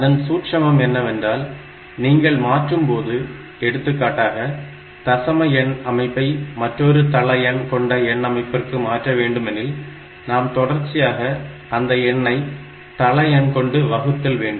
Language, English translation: Tamil, So, the trick is when you are converting from say decimal number system to a number system of different base, we go on repetitively dividing the number by that base